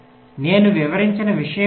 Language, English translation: Telugu, the same thing as i have illustrated